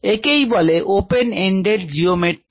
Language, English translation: Bengali, this is called an open ended geometry of measurement ah